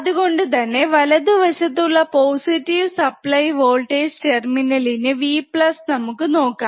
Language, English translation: Malayalam, So, let us quickly see the positive supply voltage terminal, that is this one, right